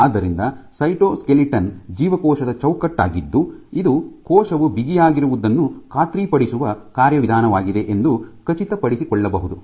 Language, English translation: Kannada, So, cytoskeleton is the cells framework which may make sure is the mechanism which ensures that the cell is taut